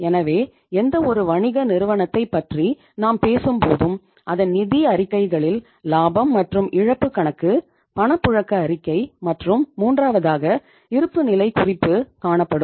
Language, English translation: Tamil, So when we talk about any firm and any business organization its financial statements include say a profit and loss account, cash flow statement, and third one is called as balance sheet